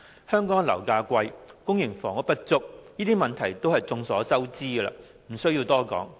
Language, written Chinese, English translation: Cantonese, 香港樓價昂貴，公營房屋不足，這些問題都是眾所周知，不用多說。, Needless to say Hong Kong is facing the problems of high property prices and inadequate public housing